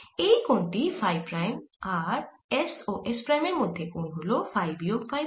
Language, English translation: Bengali, this angle is phi prime and this angle between s and s prime is phi minus phi prime